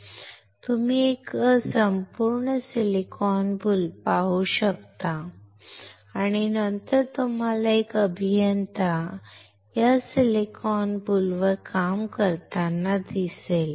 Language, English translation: Marathi, You can see a whole silicon boule and then you see an engineer working on this silicon boule